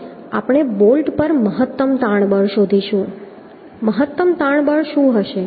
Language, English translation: Gujarati, Now we will find out the maximum tensile force at the bolt, what will be the maximum tensile force